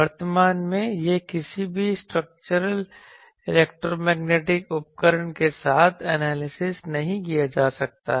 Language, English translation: Hindi, It cannot be at presence till now cannot be analyzed with any structure electromagnetic tool